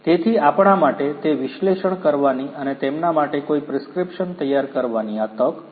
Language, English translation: Gujarati, So, this is an opportunity for us to analyze what is existing and preparing a prescription for them, right